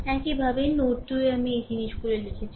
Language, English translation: Bengali, Similarly, at node 2 I this things I wrote